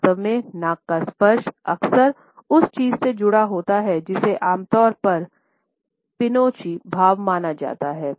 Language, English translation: Hindi, In fact, nose touch is often associated with what is commonly known as the Pinocchio effect